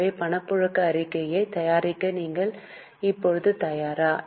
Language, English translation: Tamil, So, are you ready now to prepare the cash flow statement